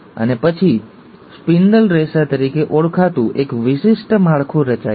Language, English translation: Gujarati, And then, there is a special structure formation taking place called as the spindle fibres